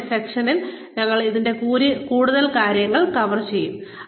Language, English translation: Malayalam, We will cover more of this, in the session tomorrow